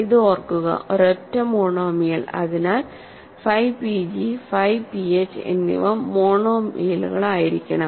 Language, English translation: Malayalam, So, this is remember, a single monomial, so phi p g and phi p h must be must also be monomials of the form